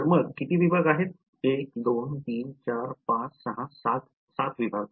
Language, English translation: Marathi, So, so how many segments are there 1 2 3 4 5 6 7 segments